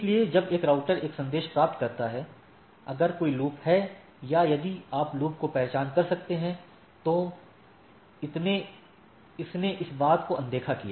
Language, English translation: Hindi, So, when a router receives a message, if there is a loop or if you can identify the loop it ignored the thing